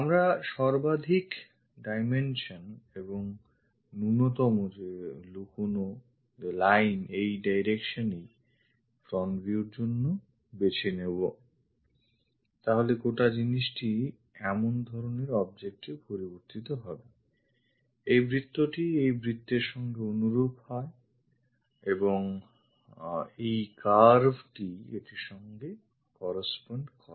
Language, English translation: Bengali, Maximum dimensions minimum hidden lines this is the direction we we should choose for front view, then this entire thing turns out to be such kind of object, this circle corresponds to this circle and this curve corresponds to this one